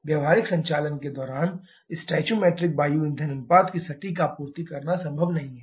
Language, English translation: Hindi, During practical operation it is not possible to precisely supply the stoichiometric air fuel ratio